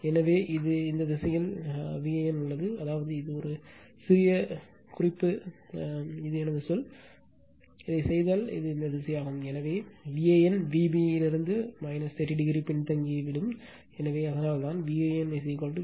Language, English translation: Tamil, So, it is in this direction V an, that means, this is my say just as a reference am putting, this is V an, if i make it right because this is this direction, so V an will lag from V b by minus 30 degree So, that is why that is why your V an is equal to V L upon root 3 angle minus 50